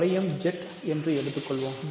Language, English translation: Tamil, So, what are the units in let us say the ring Z